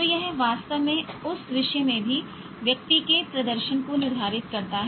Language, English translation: Hindi, So that actually determines the person's performance in that subject also